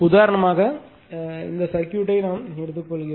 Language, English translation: Tamil, For example, for example, say take this circuit